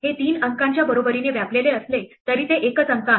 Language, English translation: Marathi, It occupies the equivalent of three spaces though it is a single digit